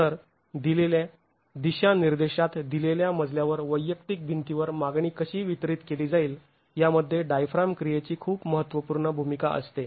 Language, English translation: Marathi, So, the diaphragm action has a very crucial role in how the demand is going to be distributed to the individual walls in a given story in a given direction